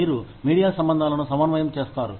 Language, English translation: Telugu, You coordinate media relations